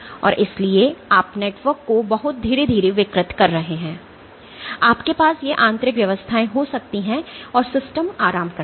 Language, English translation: Hindi, So, so you are deforming the network very slowly you can have these internal arrangements and the system relaxes